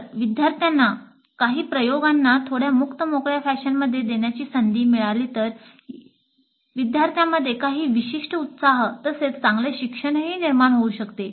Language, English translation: Marathi, So the students if they get an opportunity to conduct some of the experiments in a slightly open ended fashion it may create certain excitement as well as better learning by the students